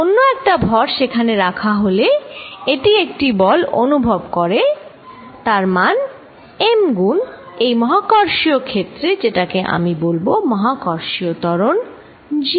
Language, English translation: Bengali, It experiences is a force F vector whose magnitude is given by m times this gravitational field, which we call g, gravitational acceleration